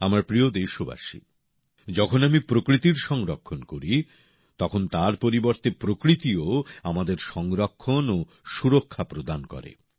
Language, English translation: Bengali, when we conserve nature, in return nature also gives us protection and security